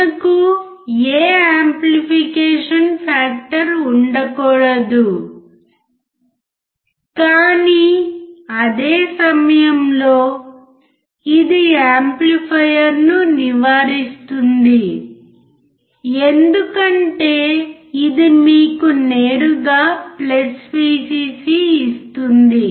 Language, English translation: Telugu, We cannot have any amplification factor but at the same time, it avoids amplifier because it will directly give you +Vcc